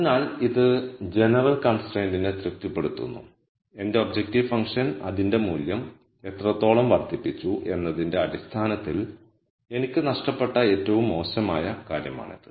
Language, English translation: Malayalam, So, it is satisfying the general constraint and that is the worst I have lost in terms of how much my objective function has increased its value by